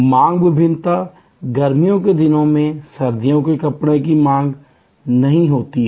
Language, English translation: Hindi, Demand variation is there, winter clothes are not demanded during summer